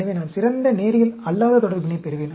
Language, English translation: Tamil, So, I will get better non linear relationship